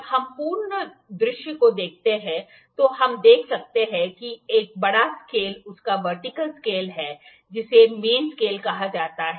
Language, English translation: Hindi, When we look at the full view, we can see that a big scale is there vertical scale that is known as main scale